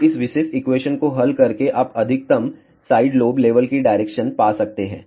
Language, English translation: Hindi, So, by solving this particular equation you can find the direction of maximum side lobe level